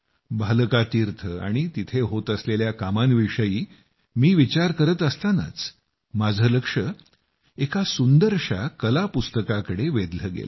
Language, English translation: Marathi, I was thinking of Bhalaka Teerth and the works going on there when I noticed a beautiful artbook